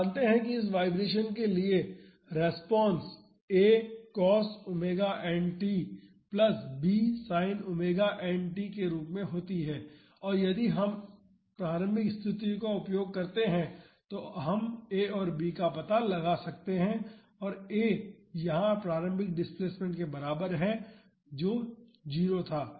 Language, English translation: Hindi, We know that for this free vibration, the response is of the form a cos omega n t plus b sin omega n t and if we use the initial conditions we can find out a and b, and a is equal to the initial displacement here the initial displacement was 0